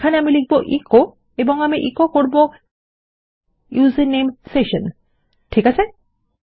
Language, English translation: Bengali, Here Ill say echo and Ill echo the username session, okay